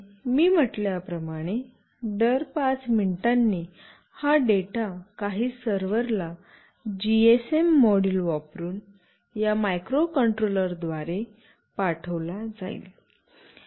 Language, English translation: Marathi, And as I said every 5 minutes, these data will be sent through this microcontroller using a GSM module to some server